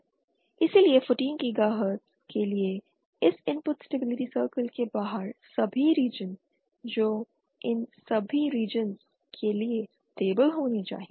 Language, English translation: Hindi, Hence for 14 gigahertz all regions outside this input stability circle that is all these regions must be stable